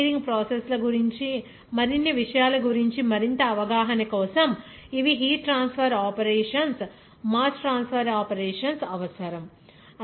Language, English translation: Telugu, These will be required for further understanding of the chemical engineering processes or other subjects like you know heat transfer operations in details, mass transfer operations in details